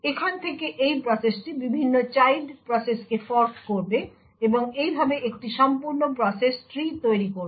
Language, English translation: Bengali, From here this process would then fork various child processes and thus in this way creates an entire process tree